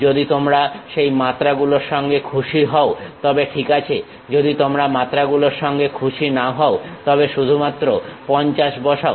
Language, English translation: Bengali, If you are happy with that dimensions, it is ok if you are not happy with that dimension just put 50